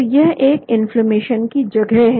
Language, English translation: Hindi, So this is the site of inflammation